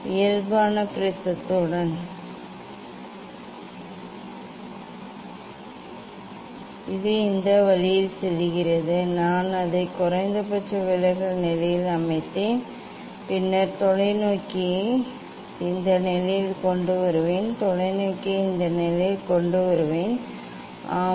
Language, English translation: Tamil, it is also going this way I set it at approximately at minimum deviation position then I will bring the telescope at this position, I will bring the telescope at this position and yes